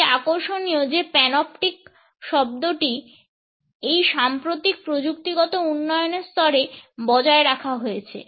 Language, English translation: Bengali, It is interesting that the word panoptic has been retained to level this recent technological development